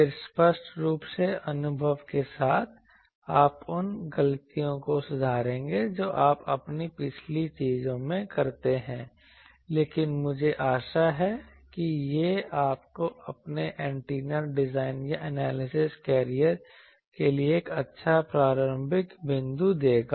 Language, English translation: Hindi, The obviously, with experience you will rectify those mistakes that you commit in your earlier things, but this will I hope will give you a good starting point for your antenna design or analysis career